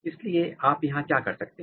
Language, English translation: Hindi, So, here what you can do